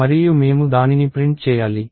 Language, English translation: Telugu, And we want to be able to print it